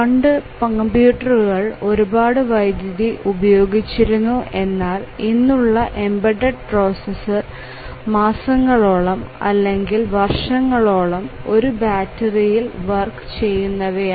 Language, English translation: Malayalam, Earlier the computers were using so much of power that battery operated computer was far fetched, but now embedded processor may work for months or years on battery